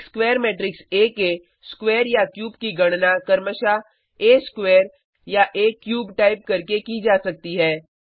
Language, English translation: Hindi, Square or cube of a square matrix A can be calculated by simply typing A square or A cube respectively